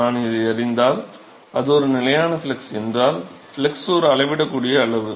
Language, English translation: Tamil, If I know this, and if it is a constant flux, the flux is a measurable quantity